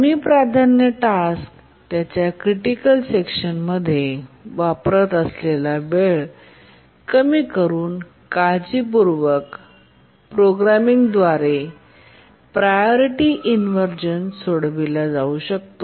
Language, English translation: Marathi, Priority inversion as it is can be solved by careful programming by reducing the time for which a low priority task uses its critical section